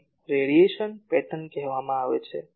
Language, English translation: Gujarati, This is called radiation pattern